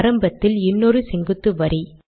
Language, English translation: Tamil, Let me put one more vertical line at the beginning